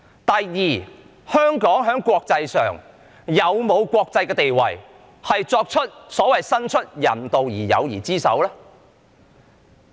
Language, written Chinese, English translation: Cantonese, 第二，香港有否國際地位伸出所謂人道的友誼之手？, Secondly does Hong Kong have the international status to extend the so - called humanitarian hand of friendship?